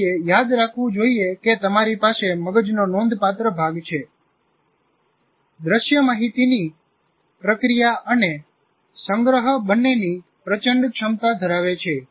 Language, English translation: Gujarati, That one should remember that you have a significant part of the brain at the backside of our what do you call cerebrum, that visual cortex has enormous capacity to both process and store information